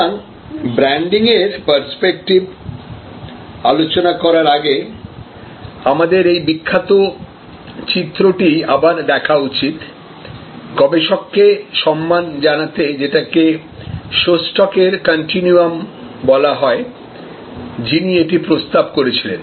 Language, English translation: Bengali, So, before we go into the branding perspective we should revisit this famous diagram, which is called Shostack’s continuum to honour the researcher, who proposed this